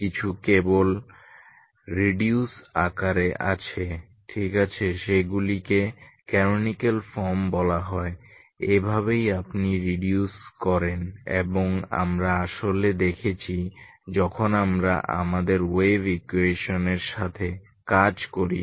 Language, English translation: Bengali, Some are simply in reduced form ok those are called canonical forms this is how you reduce and we have actually seen when we work with our wave equation